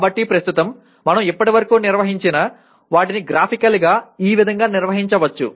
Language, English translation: Telugu, So but right now whatever we have handled till now can be graphically organized like this